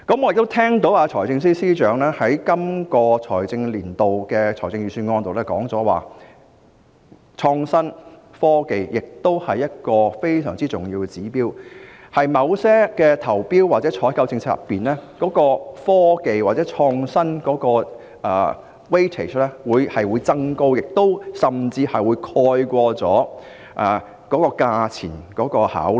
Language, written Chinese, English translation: Cantonese, 我亦聽到財政司司長在本財政年度的財政預算案中指出，創新和科技是非常重要的指標，在某些投標或採購政策中，科技或創新的評分比重會有所增加，甚至會蓋過價錢的考慮。, I also heard the Financial Secretary say in the Budget for this financial year that innovation and technology are important indicators and that in certain policies on tendering or procurement the weighting of technology or innovation will be increased even to the extent of overriding the cost consideration